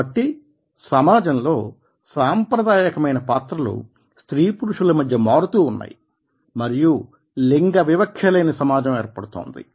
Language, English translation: Telugu, so therefore, the traditional roles are changing in the society and there is a gender free perceptions